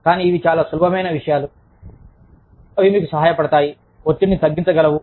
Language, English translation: Telugu, But, these are very simple things that, they help you, relieve the stress